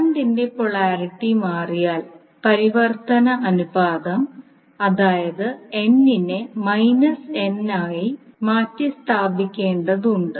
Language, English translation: Malayalam, So, if the polarity of the direction of the current changes, the transformation ratio, that is n may need to be replaced by minus n